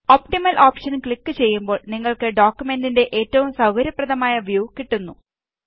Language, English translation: Malayalam, On clicking the Optimal option you get the most favorable view of the document